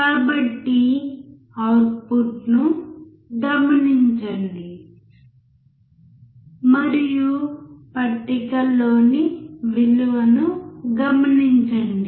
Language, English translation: Telugu, So, observe the output and note down the value in the table